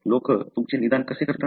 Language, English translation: Marathi, So, that is how people diagnose you